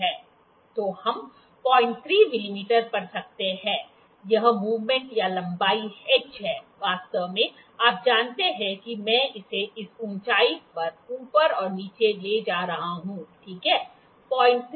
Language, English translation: Hindi, 3 mm, this movement this is length of h actually you know I am moving it up and down this height, ok